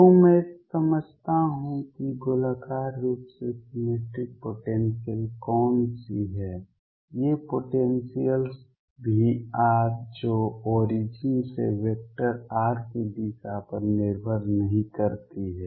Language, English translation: Hindi, So, let me explain what spherically symmetric potentials are these are potentials V r which do not depend on the direction of vector r from the origin